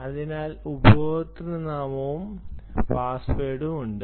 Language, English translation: Malayalam, so then there is username and password